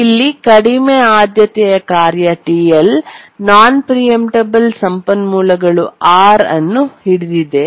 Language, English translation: Kannada, So, here a low priority task, TL, is holding a non preemptible resource R